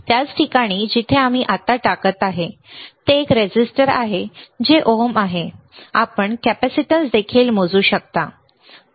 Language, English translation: Marathi, The same place where we are putting right now which is a resistance which is ohms you can measure capacitance as well, all right